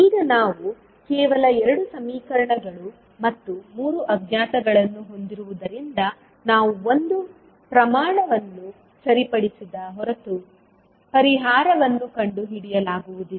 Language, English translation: Kannada, Now as we have only 2 equations and 3 unknowns we cannot find the solution, until unless we fix one quantity